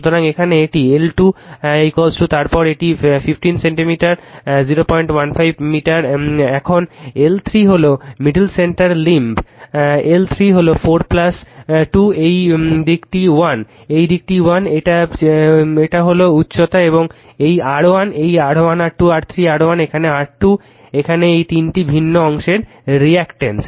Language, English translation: Bengali, 15 meter now L 3 is the middle centre limb right, L 3 it is 4 plus 2, this side is 1, this side is 1, this is the height right and this R 1 this R 1 R 2 R 3 R1, here R 2 here this is the your reluctance of the three different portion right